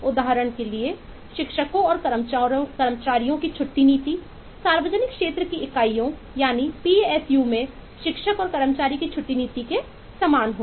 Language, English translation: Hindi, for example, the leave policy of teachers and staff will be lot similar to the leave policy of teacher and staff in the public sector units, psus